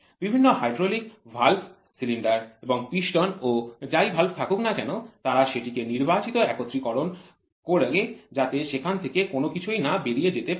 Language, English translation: Bengali, Many of the hydraulic valves the cylinder and the piston and the valve whatever it is they try to do selective assembly to make sure there is no leak